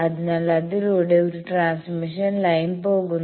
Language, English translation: Malayalam, So, through that there is a transmission line going